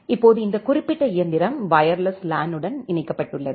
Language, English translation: Tamil, Now this particular machine it is connected to the wireless LAN